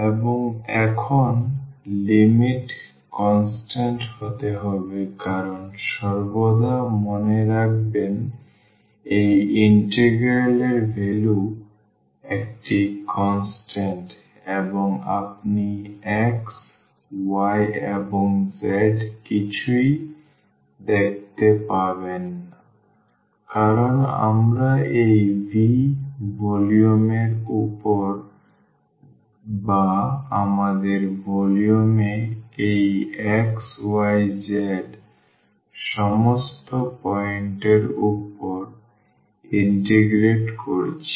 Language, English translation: Bengali, And, now the limit has to be constant because always remember the value of this integral is a constant and you will not see anything of x y and z because, we are integrating over the volume this V or over all the points this xyz in our volume